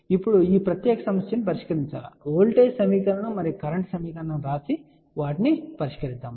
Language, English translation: Telugu, Now, this particular problem can be solved if we want to write voltage equation and current equation you can solve that